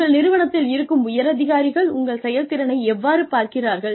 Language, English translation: Tamil, And, how do you think, higher management sees your performance